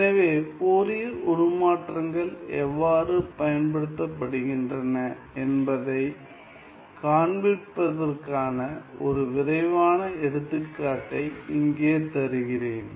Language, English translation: Tamil, So, here is one quick example to show you how Fourier transforms are used